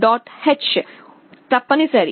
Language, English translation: Telugu, h is mandatory